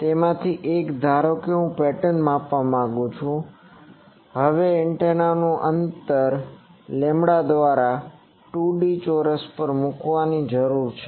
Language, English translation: Gujarati, One of that is suppose I want to measure the pattern, now the distance of the antenna needs to be put at 2 D square by lambda